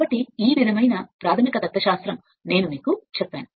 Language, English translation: Telugu, So, this is the thing I told you basic philosophy is like this